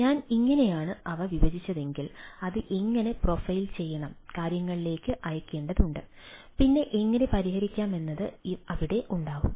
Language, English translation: Malayalam, if i partition these and how it need to be profiled, to be sent to the things, then how to solving will be there